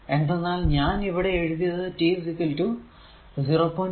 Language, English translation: Malayalam, 3 because here I have taken t is equal to 0